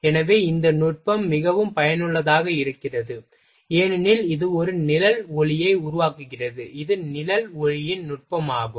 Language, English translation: Tamil, So, this technique is very useful because its make a shadow light, it technique of shadow light